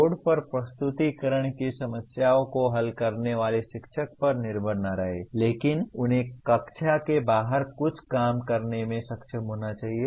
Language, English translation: Hindi, Do not depend on teacher making the presentation solving problems on the board, but he should be able to work something outside the classroom